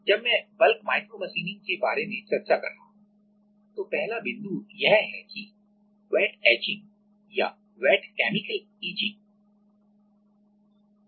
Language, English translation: Hindi, While I am discussing about bulk micromachining, the first point is that: wet etching or wet chemical etching